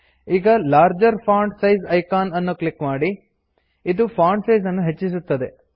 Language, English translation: Kannada, Now, click the Larger font size Icon.This increases the Font size